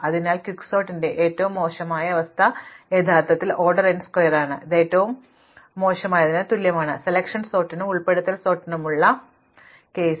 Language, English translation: Malayalam, So, the worst case of Quicksort is actually order n square, which is the same as the worst case for selection sort and insertion sort